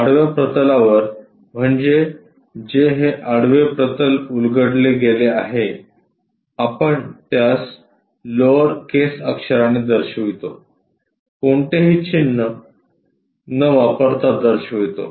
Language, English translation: Marathi, On horizontal planes that is this horizontal plane unfolded we show it by lower case letters without any’ or’s